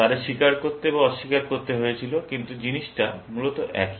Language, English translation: Bengali, They had to confess or deny, but the principal is the same, essentially